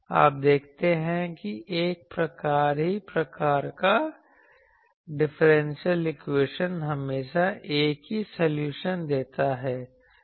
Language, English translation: Hindi, You see, differential equation of same type always gives same solution